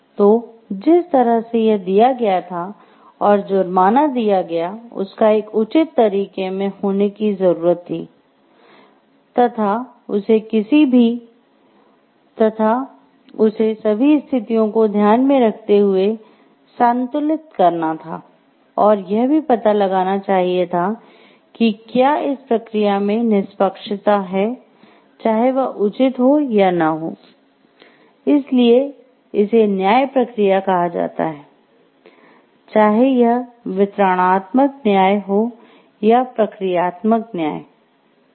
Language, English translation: Hindi, So, the way that it was given and the amount that the penalty is given needs to be in a proper way needs to be a balanced way taking all situations into consideration to find out whether there is a fairness in the process, whether it is just or not, that is why it is called a process of justice